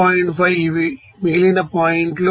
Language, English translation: Telugu, 5 these are the remaining points